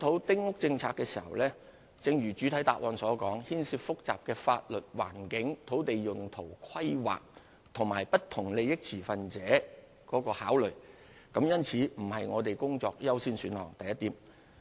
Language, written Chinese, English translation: Cantonese, 丁屋政策的檢討，正如主體答覆所述，涉及複雜的法律、環境、土地用途、規劃及不同利益持份者的考慮，故此不是我們工作的優先選項。, The review on the Policy as mentioned in the main reply involves complicated considerations in respect of the law environment land use planning and stakeholders of different interests . For this reason it is not our priority task